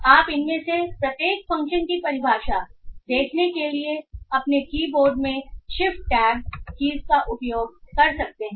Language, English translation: Hindi, So you can use the shift tab keys in your keyboard to see the definition for each of these functions